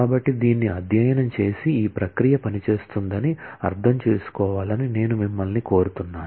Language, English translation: Telugu, So, I would request you to study this and understand that this process works